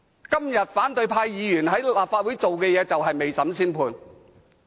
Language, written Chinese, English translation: Cantonese, 今天反對派議員在立法會所做的事就是未審先判。, Today opposition Members are exactly making judgment before trial in the Legislative Council